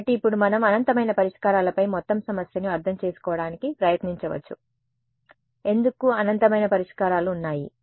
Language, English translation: Telugu, So, now we can try to understand the whole problem on infinite solutions why are there infinite solutions